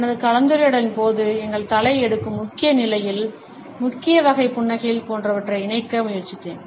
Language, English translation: Tamil, During my discussion, I have tried to incorporate the major positions, which our head takes, the major types of smiles, etcetera